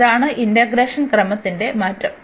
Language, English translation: Malayalam, So, that is the change of order of integration